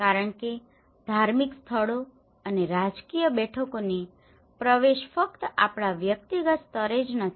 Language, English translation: Gujarati, Because the access to the religious places and the political meetings not only that in our personal level